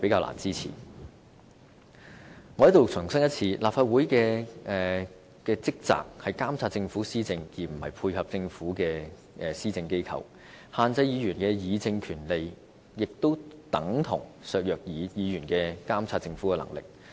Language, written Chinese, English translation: Cantonese, 我在此再次重申，立法會的職責是監察政府施政，而不是配合政府的施政，限制議員議政權力等同削弱議員監察政府的能力。, I wish to reiterate here that the role of the Legislative Council is to monitor the Governments work not to coordinate with its governance . By restricting the power of Members to debate on policies the proposals precisely seek to undermine our ability to monitor the Government